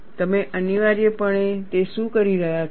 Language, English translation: Gujarati, What you are essentially doing it